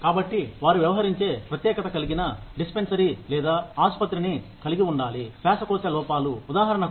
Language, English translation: Telugu, So, they need to have a dispensary, or a hospital, that specializes in, dealing with, respiratory disorders, for example